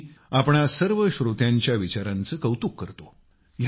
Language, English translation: Marathi, I appreciate these thoughts of all you listeners